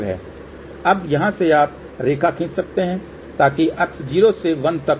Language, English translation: Hindi, Now, from here you can draw the line and you can draw the line so that axis is from 0 to 1